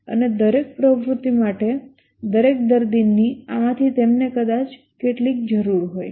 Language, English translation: Gujarati, And for each activity, for each patient they might need some of these